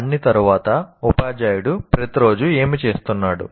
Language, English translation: Telugu, After all, what is the teacher doing every day